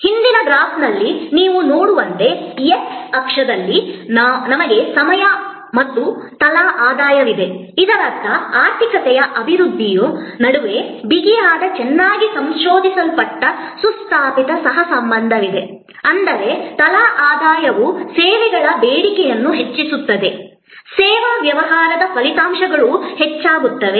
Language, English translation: Kannada, As you will see in the previous graph, that on the x axis we have time as well as per capita income; that means, there is a tight well researched well established co relation between the development of the economy; that means, that is more per capita income will enhance the demand for services, service business outputs will increase